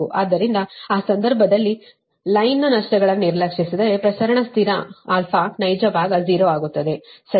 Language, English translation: Kannada, so in that case, if line losses are neglected, then the real part of the propagation constant, alpha, will become zero